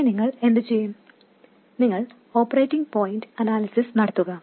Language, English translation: Malayalam, Then what do you do the operating point analysis